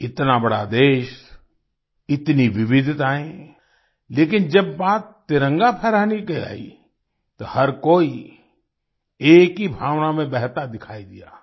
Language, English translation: Hindi, Such a big country, so many diversities, but when it came to hoisting the tricolor, everyone seemed to flow in the same spirit